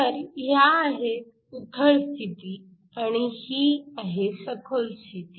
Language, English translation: Marathi, So, these are shallow states, this is a deep state